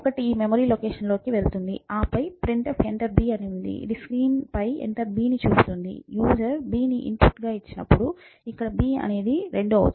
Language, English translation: Telugu, So, one goes into this memory location, then printf enter b that I will show enter b on the screen, when the user inputs b in this case it is 2 that would go into this memory location and so, on and so, forth